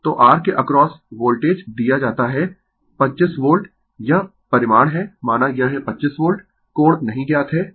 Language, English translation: Hindi, So, across R the Voltage is given your 25 Volt, this is magnitude say it is 25 Volt angles are not known